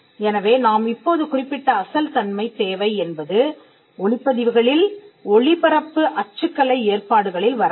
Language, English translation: Tamil, So, the originality requirement as we just mentioned does not fall on sound recordings broadcast typographical arrangements